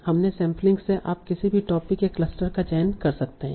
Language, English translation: Hindi, From your sampling, you can choose any number of topics or clusters